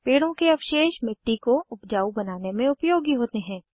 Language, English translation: Hindi, Tree wastes are useful in increasing soil fertility